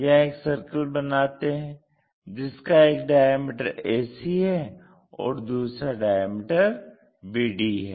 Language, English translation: Hindi, So, here a circle where ac is one of the diameter and bd is the other diameter